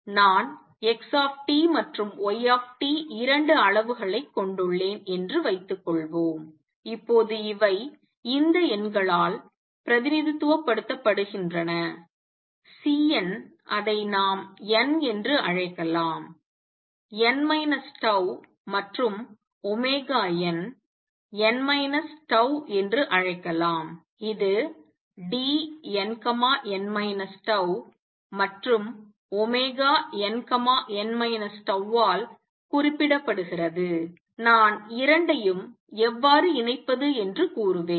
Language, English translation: Tamil, Suppose I have two quantities Xt and Y t, now these are represented by these numbers, Cn let us call it n, n minus tau and omega n, n minus tau and this is represented by let us say D n, n minus tau and omega n, n minus tau how do I combine the two